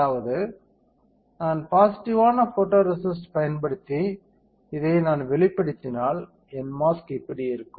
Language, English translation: Tamil, That means, that if I use positive photoresist if I expose this my mask looks like this